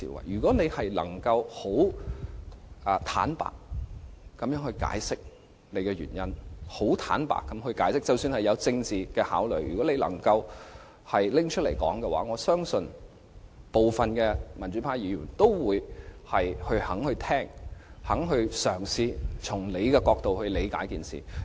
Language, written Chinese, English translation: Cantonese, 如果政府能坦白地解釋原因，即使是基於政治考慮，假如能開誠布公，我相信部分民主派議員仍會願意聆聽，願意嘗試從政府的角度理解此事。, If the Government can be honest and explain the reasons even if it is based on political considerations as long as the Government can tell us honestly I believe many democratic Members are still willing to listen and try to understand from the perspective of the Government